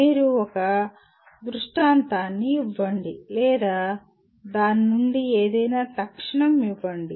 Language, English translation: Telugu, You give an illustration or instantiate something out of that